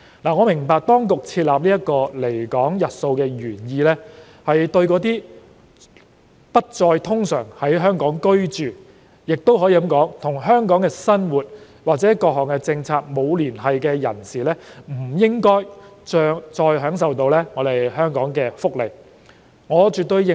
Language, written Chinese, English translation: Cantonese, 我明白當局設立這個離港日數的原意，是對那些不再通常在港居住，也可以說與香港生活及各項政策沒有連繫的人士，不應再享受香港的福利，我絕對認同。, I understand that the original intention of the authorities in specifying the permissible limit of absence from Hong Kong is to stop people who no longer usually reside in Hong Kong or do not have ties with life and various policies in Hong Kong from enjoying any welfare benefits provided by Hong Kong . I absolutely agree with this